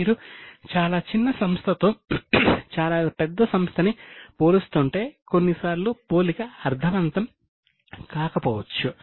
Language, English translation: Telugu, If you are comparing with very small company with very large company, sometimes the comparison may not be meaningful